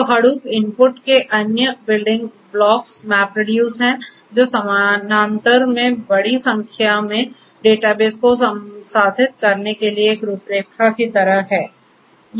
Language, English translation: Hindi, So, the other building blocks of Hadoop input the MapReduce which is like a framework for processing large number of large amount of data bases in parallel